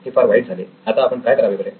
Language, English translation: Marathi, It’s bad, so what do we do now